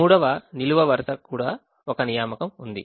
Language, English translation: Telugu, the third row also has an assignment